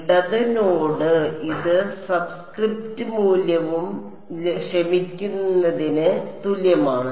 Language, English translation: Malayalam, Left node and this is all equal to sorry the subscript value